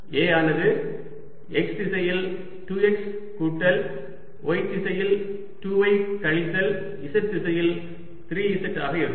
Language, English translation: Tamil, a is nothing but two x in x direction plus two y in y direction, minus three z in z direction